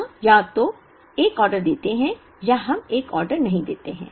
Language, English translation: Hindi, We either place an order, or we do not place an order